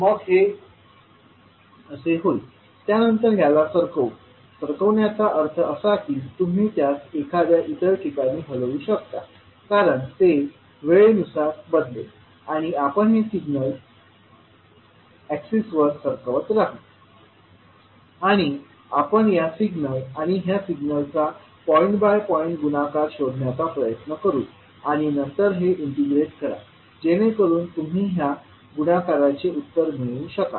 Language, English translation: Marathi, So this will become like this, shifting it, shifting it means you can shift it at some location because it will vary with respect to time and we will keep on shifting this signal across the access and we will try to find out the multiplication of this signal and this signal point by point and then integrate it so that you can get the product